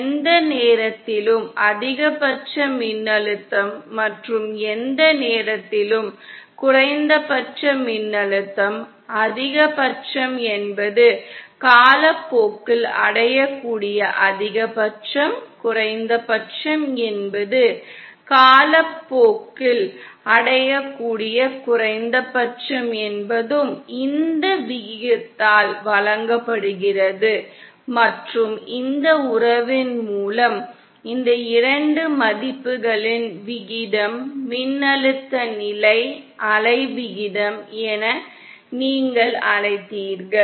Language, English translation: Tamil, The maximum voltage at any point and the minimum voltage at any point, maximum means the maximum that can be achieved over time, minimum also means minimum that can be achieved over time is given by this ratio and by this relationship the ratio of these 2 values is what you called as the voltage standing wave ratio